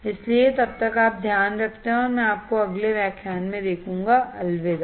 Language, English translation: Hindi, So, till then you take care, and I will see you in the next lecture, bye